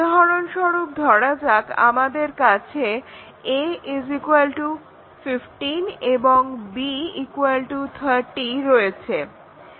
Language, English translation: Bengali, Now, let us take these example, a greater than 50 or b less than 30